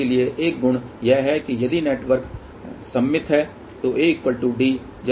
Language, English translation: Hindi, So, one of the property is that if the network is symmetrical, then A will be equal to D